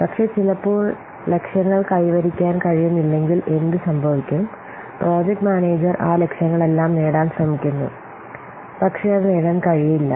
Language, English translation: Malayalam, But sometimes what happens if the targets are not achievable, the project manager tries to achieve all those targets, but it's not possible to achieve they are not achievable